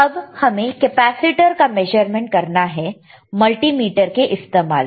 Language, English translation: Hindi, Now can you measure the capacitor using the this multimeter